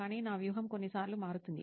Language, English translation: Telugu, But my strategy changes sometimes